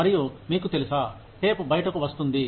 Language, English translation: Telugu, And, they would, you know, the tape would come out